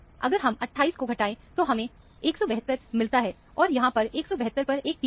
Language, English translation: Hindi, If we subtract 28, we get 172; there is a peak at 172